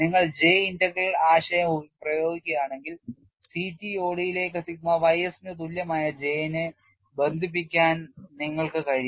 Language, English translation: Malayalam, And if you apply J integral concept, it is possible for you to relate J equal to sigma y s into the CTOD